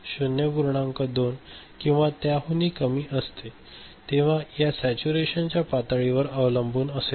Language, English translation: Marathi, 2 or even lower depending on the level of saturation